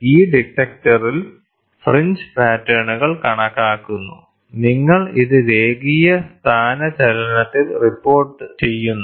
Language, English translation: Malayalam, So, in this detector, the fringe patterns are counted, and you report it in linear displacement